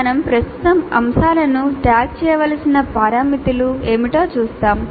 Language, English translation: Telugu, We will presently see what are the parameters with which we need to tag the items